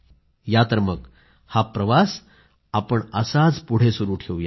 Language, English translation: Marathi, Come on, let us take this journey further